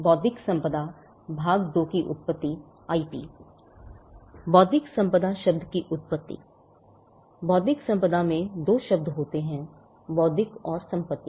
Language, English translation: Hindi, Origin of the term IP or intellectual property; Intellectual property comprises of two words intellectual and property